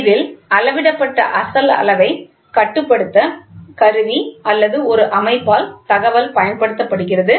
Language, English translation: Tamil, In this, information is used by the instrument or a system to control the original measured quantities